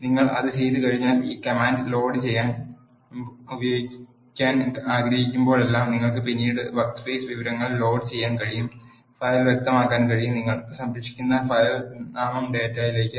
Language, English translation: Malayalam, Once you do that you can load the workspace information at later point of time whenever you want using this command load you can specify the file is equal to the file name which you save the data into